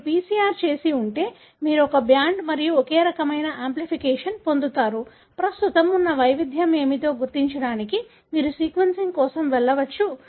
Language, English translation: Telugu, If you have done a PCR, you will get a single band and single such kind of amplification, which you can go for sequencing to identify what is the variation that is present